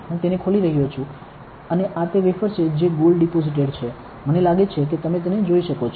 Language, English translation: Gujarati, So, I am opening it and this is the wafer which is deposited with gold, I think you can see it